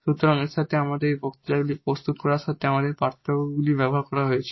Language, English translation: Bengali, So, with this, now we have these differences used for preparing this lectures and Thank you for your attention